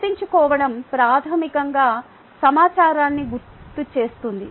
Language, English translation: Telugu, remembering is basically recalling the information